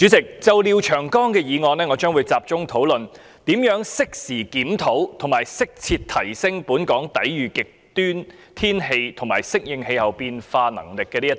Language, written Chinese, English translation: Cantonese, 主席，就廖長江議員的議案，我將會集中討論如何適時檢討及適切提升本港抵禦極端天氣和應對氣候變化的能力。, President regarding Mr Martin LIAOs motion I will focus on discussing how to review at an appropriate time and enhance as appropriate Hong Kongs capabilities to withstand extreme weather and adapt to climate change